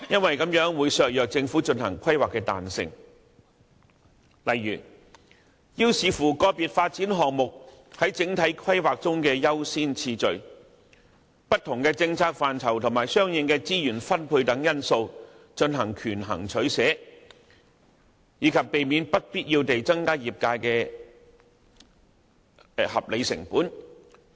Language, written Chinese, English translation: Cantonese, 此舉會削弱政府規劃的彈性，未能因應個別發展項目在整體規劃中的優先次序，不同的政策範疇和相應的資源分配等因素進行權衡取捨，亦增加業界不必要的合理成本。, Such a move will undermine the Governments flexibility in weighing the pros and cons of individual development projects under different policy areas by considering factors such as their priorities in the overall planning or the corresponding funding requirements . Meanwhile it will increase the operating costs of the relevant industries unnecessarily